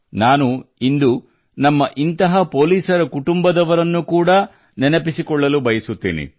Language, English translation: Kannada, Today I would like to remember these policemen along with their families